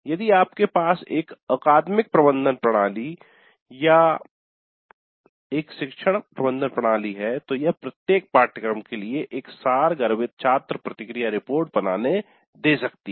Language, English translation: Hindi, We could have a survey form like that and if you have an academic management system or a learning management system, it may permit creation of a summary student feedback report for each course